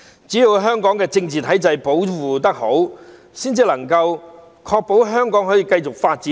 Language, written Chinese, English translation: Cantonese, 只要香港的政治體制保護得好，才能夠確保香港可以繼續發展。, Only when Hong Kongs political system is well protected can we ensure the continual development of Hong Kong